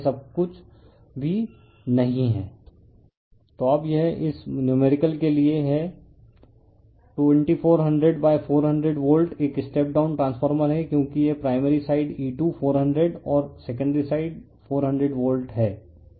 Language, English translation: Hindi, So, now, this is for this numerical a 2400 / 400 volt is a step down transformer because this is primary sidE2400 and secondary side 400 volts